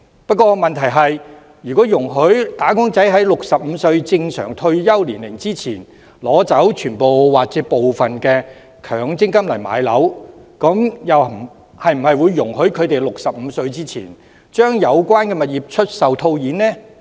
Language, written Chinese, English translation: Cantonese, 不過問題是，如果容許"打工仔"在65歲正常退休年齡前，取走全部或部分強積金置業，那麼是否也容許他們在65歲前，將有關物業出售套現？, The question is if wage earners are allowed to withdraw part or the whole of their MPF to acquire properties prior to their normal retirement age of 65 are they also allowed to realize the properties concerned before they reach the age of 65?